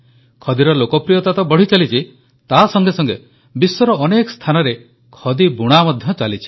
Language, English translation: Odia, Not only is the popularity of khadi rising it is also being produced in many places of the world